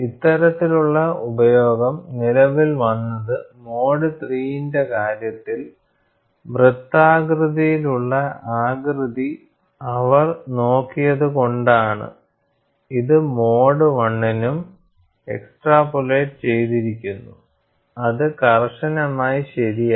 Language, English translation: Malayalam, That kind of utilization came into existence, because they have looked at the shape is circular in the case of mode 3, which is extrapolated to for mode 1 also, which is not strictly correct